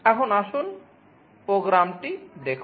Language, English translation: Bengali, Now let us look at the program